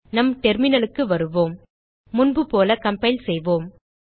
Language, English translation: Tamil, Come back to our terminal Let us compile as before